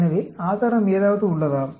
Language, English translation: Tamil, So, is there any evidence